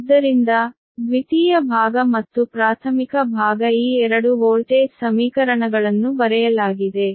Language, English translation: Kannada, so secondary side and primary side, these two voltage equations are retained, right